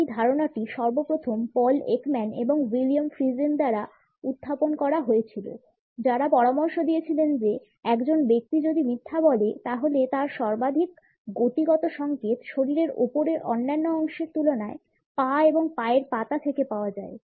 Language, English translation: Bengali, This idea first of all was put forward by Paul Ekman and William Friesen who suggested that if a person is lying, then the maximum kinetic signals are received from the legs and feet; in comparison to other body parts which are in the upper portion of the body